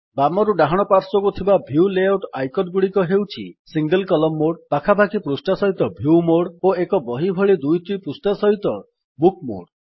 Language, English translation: Odia, The View Layout icons from left to right are as follows: Single column mode, view mode with pages side by side and book mode with two pages as in an open book